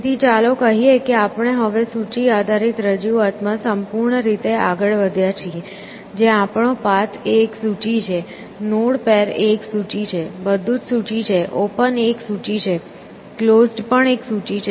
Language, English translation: Gujarati, So, let us say that we have now move completely to a list based representation, where our path is a list, node pair is a list, everything is a list essentially, open is a list, close is also a list